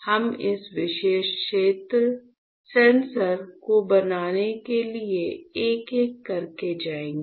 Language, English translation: Hindi, So, we will go one by one to fabricate this particular sensor